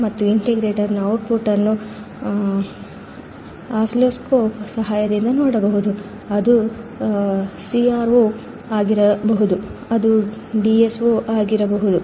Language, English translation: Kannada, And the output of the integrator can be seen with the help of oscilloscope it can be CRO it can be DSO